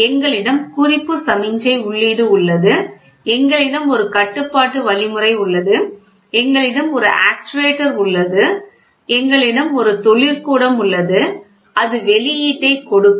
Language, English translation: Tamil, So, we have, this is the reference signal input and then we have a control algorithm, then we have an actuator, then we have a plant and that will give output, right